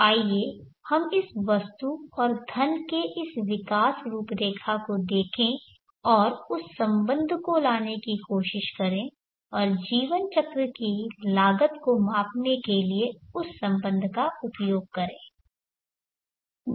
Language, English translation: Hindi, So let us look at this growth profile of this item and money and try to bring in that relationship and use that relationship to measure the lifecycle cost